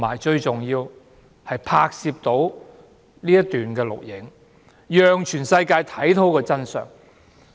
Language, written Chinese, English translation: Cantonese, 最重要的是，他拍攝了一些片段，讓全世界看到真相。, Most importantly he captured some video footages ones which have revealed the truth to the whole world